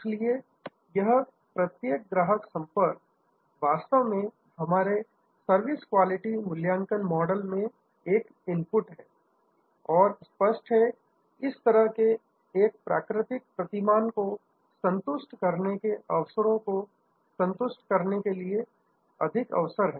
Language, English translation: Hindi, So, this each customer contact is actually an input into our service quality evaluation model and obviously, there are more opportunities to dissatisfy the opportunities to satisfy that is kind of a natural paradigm